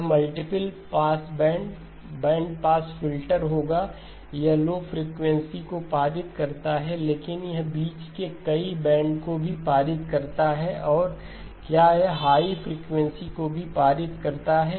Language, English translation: Hindi, It will be a multiple pass bands, bandpass filter, it passes low frequencies, but it also passes several bands in between so and does it also pass high frequencies